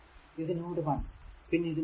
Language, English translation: Malayalam, This is your node 1 and this is your node 2, right